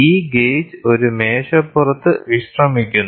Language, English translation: Malayalam, This gauge is resting on a table